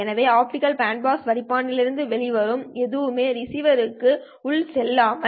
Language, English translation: Tamil, So, whatever that comes out of the optical bandpass filter can go into the receiver